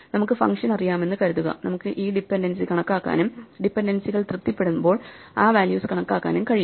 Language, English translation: Malayalam, So, assuming that we know the function, we can calculate this dependency and just compute that values as and when the dependencies are satisfied